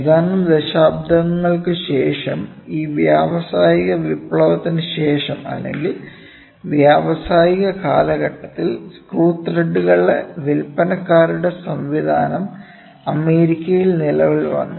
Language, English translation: Malayalam, A couple of decades later after this industrial revolution or during the time of industrial, the sellers system of screw threads came into use in United States